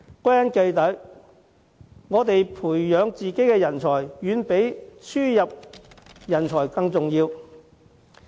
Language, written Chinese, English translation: Cantonese, 歸根結底，培養本地人才遠比輸入人才重要。, In the end it is far more important to nurture talents locally than to import talents